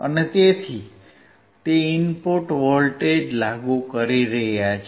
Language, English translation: Gujarati, So, he is applying the input voltage